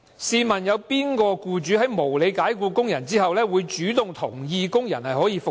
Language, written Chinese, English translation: Cantonese, 試問有哪個僱主在無理解僱工人後，會主動同意讓工人復職？, Will any employer voluntarily agree to reinstate the worker whom he has unreasonably dismissed?